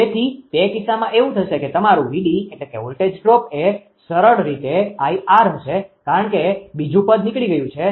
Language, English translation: Gujarati, So, in that case what will happen that your VD voltage drop will be simply I into R right because that the second term is vanish